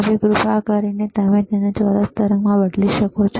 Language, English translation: Gujarati, Now, can you change it to square wave please